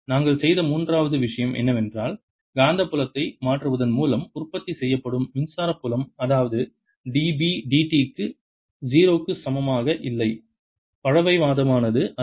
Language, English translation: Tamil, third point we made was that the electric field produced by changing magnetic field that means d b, d t, not equal to zero is not conservative